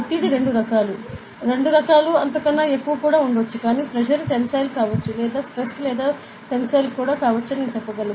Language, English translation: Telugu, Stress are of two type, not two types more than two types are there; but I could simply say that, you could pressure can be tensile, stress can be tensile